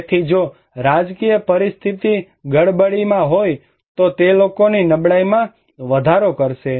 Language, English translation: Gujarati, So, if the political situation is in a turmoil that will of course increase people's vulnerability